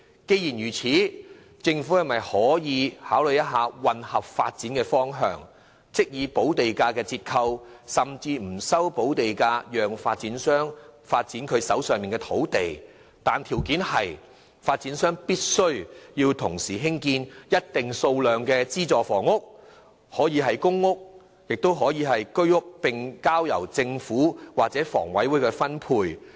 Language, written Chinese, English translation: Cantonese, 既然如此，政府可否考慮混合發展的方向，即是以補地價折扣甚至不收補地價，讓發展商發展手上的土地，條件是發展商必須同時興建一定數量的資助房屋，可以是公屋或居屋，並交由政府或香港房屋委員會分配。, Such being the case I wonder if consideration could be given by the Government to adopting a mixed development mode . Under the development mode developers would be allowed to develop land in their land reserve at discounted land premium or even be exempted from payment of land premium for such development plans on the condition that a certain amount of subsidized housing units be they public rental housing units or Home Ownership Scheme flats would be constructed at the same time for allocation by the Government or the Hong Kong Housing Authority